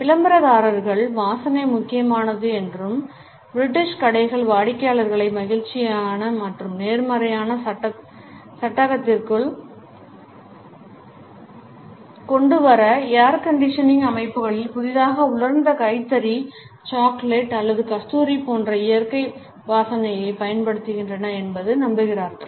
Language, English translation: Tamil, Advertisers also believe that smell is important and British stores use natural smells such as that of freshly dried linen, chocolate or musk in the air conditioning systems to put customers in a happy and positive frame